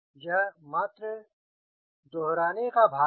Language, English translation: Hindi, this is just part of revisions